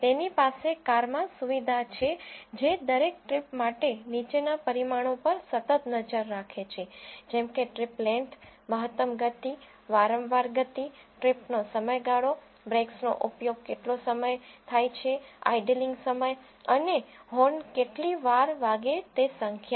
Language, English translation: Gujarati, He has a facility in the car which continuously monitors the following parameters for each trip such as trip length, maximum speed, most frequent speed, trip duration, number of times the brakes are used, idling time and number of times the horn is being hogged